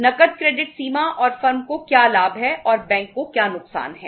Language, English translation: Hindi, Cash credit limit and what is the benefit to the firm and what is the loss to the bank